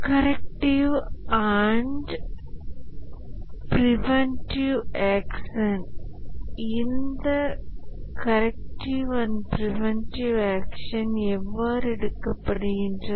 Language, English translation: Tamil, Corrective and preventive action, how are these corrections and preventive action taken